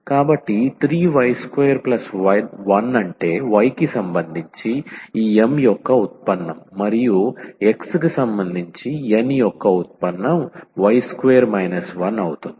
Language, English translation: Telugu, So, 3 y square and plus 1 that will be the derivative of this M with respect to y and derivative of N with respect to x will be y square minus 1